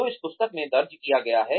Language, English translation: Hindi, That have been recorded in this book